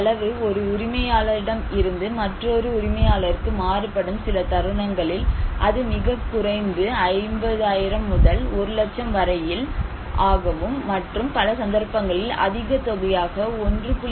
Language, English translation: Tamil, The cost, it varies from owner to owner, in some cases it is; the lowest one is 50,000 to 1 lakh and but it is a highly cost like 1